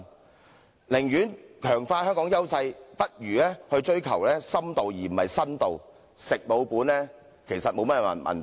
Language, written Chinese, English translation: Cantonese, 與其這樣，不如強化香港現有優勢，追求深度，而不是新度，"食老本"其實並無不妥。, We should instead strengthen the existing advantages of Hong Kong; we should deepen existing tourist attractions but not develop new attractions . Living off our past gains is actually not that undesirable